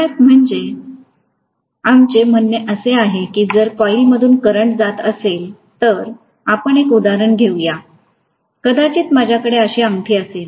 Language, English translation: Marathi, What we mean by MMF is if I am passing a current through a coil, let us take probably an example, maybe I have a ring like this